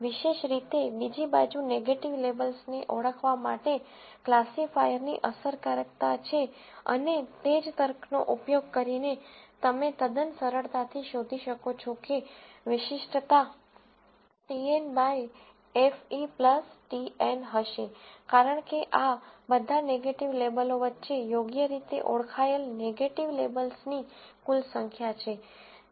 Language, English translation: Gujarati, Specificity, on the other hand is the effectiveness of classifier to identify negative labels and using the same logic, you can quite easily find that the specificity will be TN by FE plus TN, because this, these are the total number of negative labels, correctly identified among all the negative labels